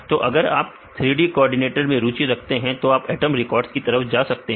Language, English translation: Hindi, So, if you are interested in the 3D coordinates then you go with atom records right